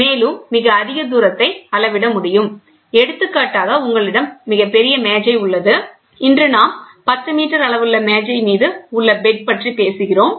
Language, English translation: Tamil, And by the way, very far up distance can be measured, for example, you have a very large table, today we talk about table size table bed size of 10 meters